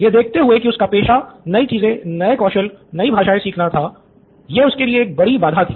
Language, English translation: Hindi, Given that his profession is to learn new stuff, this was a big obstacle for him